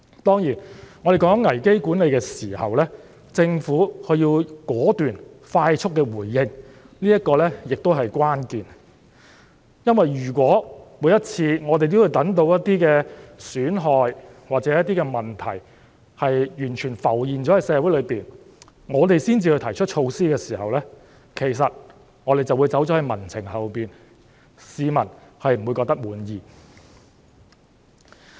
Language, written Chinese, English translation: Cantonese, 當然，要有效管理危機，政府必須果斷和快速回應，這同樣是關鍵，因為如果每次也要等到損害或問題在社會上完全浮現後才提出措施，我們便會走在民情後面，市民不會感到滿意。, Certainly for the purpose of effective crisis management the Government must be decisive and respond promptly and this is also crucial . It is because if every time measures are put forward only after damages are done or problems have fully surfaced in society we would fall behind public sentiments and the people would not be satisfied